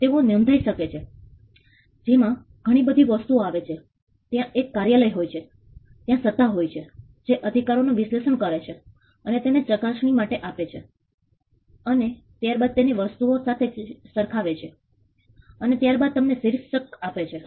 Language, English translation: Gujarati, They can be registered which brings a whole lot of things there is an office there is an authority which analyzes the right and gives and scrutinizes it, and then verifies it with other things and then grants you a title